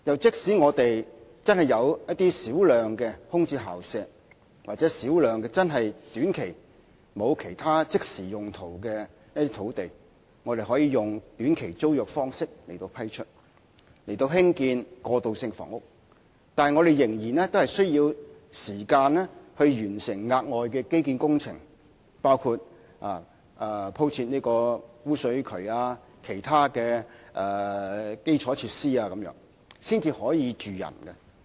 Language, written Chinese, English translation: Cantonese, 即使我們真的有少量空置校舍，或少量短期內沒有其他即時用途的土地，可以用短期租約方式批出以興建過渡性房屋，但我們仍然需要時間完成敷設污水渠等額外基建工程，以及提供其他基礎設施，才可以讓人居住。, Even if there are a small number of vacant school premises or a number of sites having no immediate use on short - term basis that can be used for constructing transitional housing under a short term tenancy it takes time to carry out the additional infrastructure projects such as laying sewerage pipes and providing other infrastructure facilities before people can live there